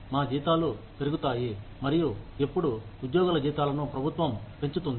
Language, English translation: Telugu, Our salaries go up, as and when, the government raises, the salaries of other employees